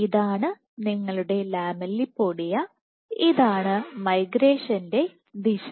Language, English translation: Malayalam, This is your lamellipodia and this is the migration direction